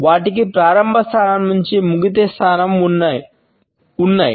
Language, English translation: Telugu, They have a point of beginning and a point at which they end